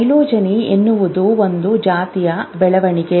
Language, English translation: Kannada, Phylogeny is the development of species